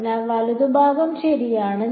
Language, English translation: Malayalam, The right hand side